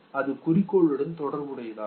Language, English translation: Tamil, It is goal relevant, okay